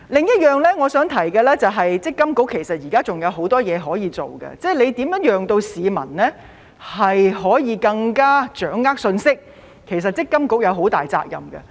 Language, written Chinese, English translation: Cantonese, 我想提出的另一點是，其實積金局現時仍然有很多事情可以做，例如如何令市民可以更加掌握信息，積金局其實是有很大責任的。, Another point I want to raise is that MPFA still has a lot of things to do . For example MPFA should bear a major responsibility for keeping the public better informed . Secretary this is my personal experience I also did not have time to manage my MPF accounts